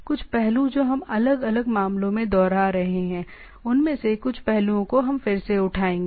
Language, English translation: Hindi, Some of the aspects we will be revisiting rather in different cases we will be again picking up some of this aspect